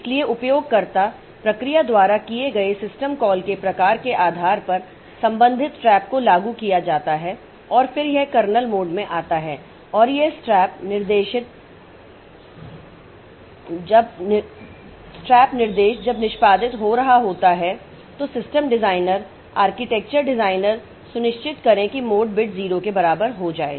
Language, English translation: Hindi, So, depending upon the type of system call that is made by the user process so the corresponding trap is invoked and then this it comes to the kernel mode and this trap instruction when it is executing so it the system design the architecture designer they have ensured that the mode bit is more mode bit becomes equal to 0